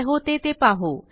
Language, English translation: Marathi, let see what happens